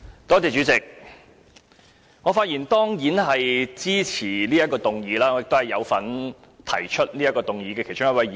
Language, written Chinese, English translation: Cantonese, 主席，我當然是發言支持此項議案，我亦是提出議案的其中一位議員。, President of course I will speak in support of this motion and I am also one of the Members who initiated this motion